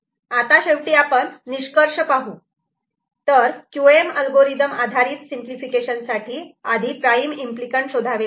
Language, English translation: Marathi, So, to conclude QM algorithm based simplification first identifies prime implicants